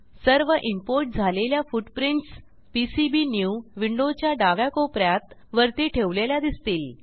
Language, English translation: Marathi, You can see that all the footprints are imported and placed in top left corner in PCBnew window